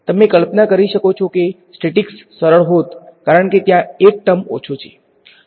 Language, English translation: Gujarati, You can imagine that statics would have been easier because there is one term less